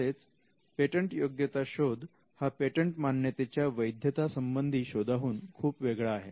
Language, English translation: Marathi, This also tells us a patentability search is much different from a inquiry into the validity of a patent